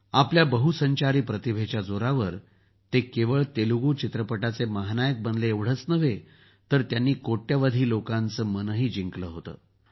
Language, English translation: Marathi, On the strength of his versatility of talent, he not only became the superstar of Telugu cinema, but also won the hearts of crores of people